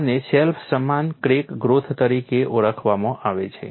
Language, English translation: Gujarati, This is known as self similar crack growth